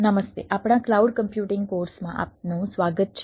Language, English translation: Gujarati, hi, welcome to our cloud computing course